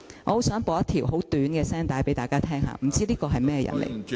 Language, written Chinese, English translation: Cantonese, 我想播一段很短的聲帶給大家聽，真的不知道他是個甚麼人？, I want to play a very short recording and I wonder who the speaker is